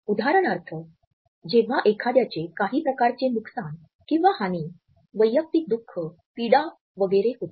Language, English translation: Marathi, For example, when somebody undergoes some type of a loss, personal grief, suffering etcetera